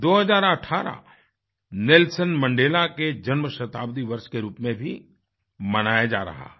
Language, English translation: Hindi, The year2018 is also being celebrated as Birth centenary of Nelson Mandela,also known as 'Madiba'